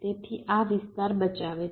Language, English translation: Gujarati, right, so this saves the area